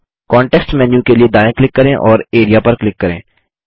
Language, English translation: Hindi, Right click for the context menu and click Area